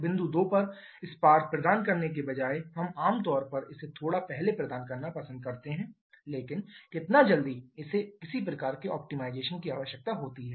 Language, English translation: Hindi, Instead of providing the spark at point 2 we generally prefer to provide it a bit earlier but how much early that also requires some kind of optimization